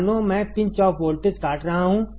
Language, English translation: Hindi, As if I am pinching off